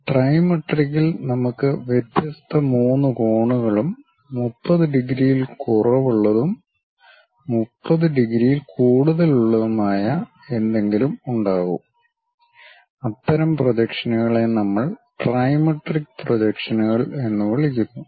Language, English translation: Malayalam, And, in trimetric we will have different three angles and something like less than 30 degrees and more than 30 degrees, such kind of projections we call trimetric projections